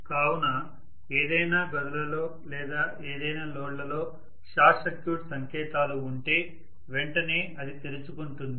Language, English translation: Telugu, So if there is a short circuit signs in any of the rooms or any of the loads, then immediately it will open out